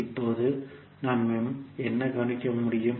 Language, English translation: Tamil, Now from the figure what we can observe